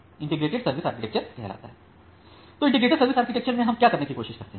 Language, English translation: Hindi, So, the integrated service architecture what we try to do